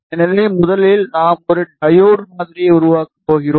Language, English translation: Tamil, So, first thing we are going to build a diode model